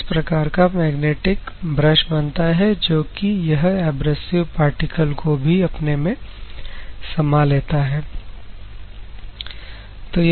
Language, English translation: Hindi, So, this type of magnetic brush is generated which a embeds the abrasive articles